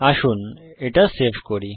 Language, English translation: Bengali, Let us save it